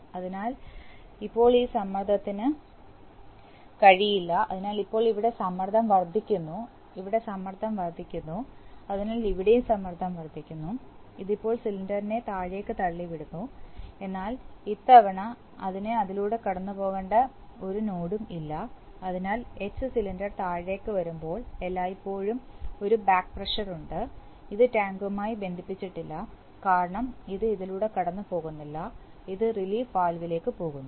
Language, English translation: Malayalam, So now this pressure cannot, so now the pressure here builds up, so the pressure here builds up, so the pressure here also builds up and this now pushes the cylinder down but this time no node that it has to pass through this, so therefore while the cylinder H is coming down there is, there is always a back pressure, this is not connected to tank because it is not passing through this, it is passing to the relief valve